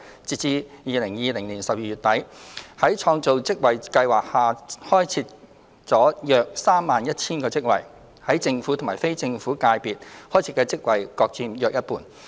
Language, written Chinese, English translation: Cantonese, 截至2020年12月底，在創造職位計劃下已開設了約 31,000 個職位，於政府及非政府界別開設的職位各佔約一半。, As at end - December 2020 around 31 000 jobs have been created under the Job Creation Scheme of which those jobs created in the Government and in the non - governmental sector are approximately equal in proportion